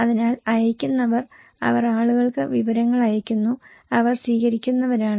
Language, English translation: Malayalam, So, senders, they are sending informations to the people, they are the receivers